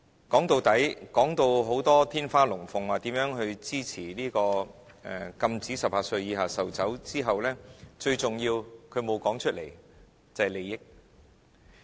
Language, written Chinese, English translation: Cantonese, 說到底，說得天花亂墜，說如何支持禁止18歲以下售酒之後，他沒有說出最重要的一點，便是利益。, In the final analysis they have been talking in such an exaggerated manner of how they support the ban on the sale of liquor to minors under 18 but they have not uttered the most important word and that is the interests